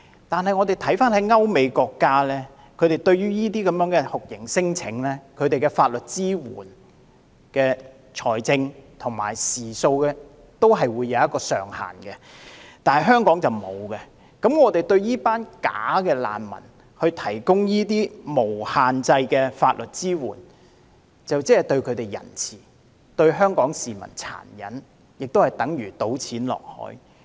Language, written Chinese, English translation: Cantonese, 不過，我們看到歐美國家對於這些酷刑聲請的法律支援，在財政和時數方面也會設置上限，但香港卻沒有，那麼，我們為這些假難民提供無限制的法律支援，這便是對他們仁慈，但對香港市民殘忍，也等於丟錢入海。, However we can see that in the United States and European countries regarding the provision of legal assistance for this kind of torture claims there are caps on both the amount of monetary assistance and the number of hours of assistance provided to them . But this is not the case in Hong Kong . In view of this since we are providing unlimited legal support to these bogus refugees we are being kind to them but cruel to Hong Kong people and this is also tantamount to throwing money into the sea